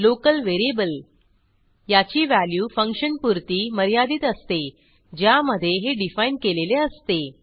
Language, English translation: Marathi, Local variable: Its value will be valid within the function in which it is defined